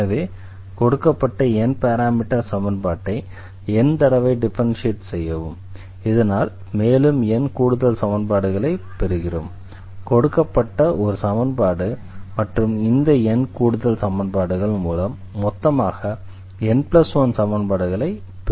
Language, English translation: Tamil, So, here how to get this actually, so differentiate the given equation n times; and we get an additional equations there was a given n parameter family equation we differentiate keep on differentiating this family